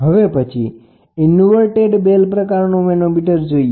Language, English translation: Gujarati, So, this is how an inverted bell manometer looks like